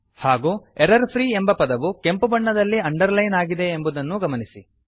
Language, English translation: Kannada, Also notice that the word errorfreeis underlined in red colour